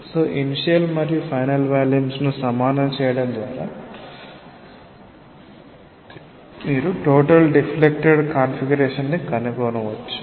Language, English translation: Telugu, So, by equating the initial and the final volume, you can find out totally the deflected configuration